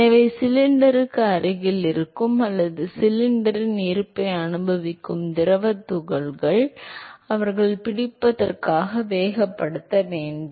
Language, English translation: Tamil, So, therefore, the fluid particles which is present close to the cylinder or which is experiencing the presence of the cylinder; they have to accelerate in order to catch up